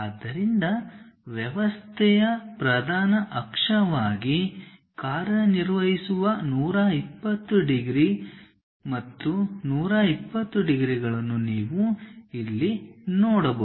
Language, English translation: Kannada, So, you can see here the 120 degrees, 120 degrees and 120 degrees which serves as principal axis of the system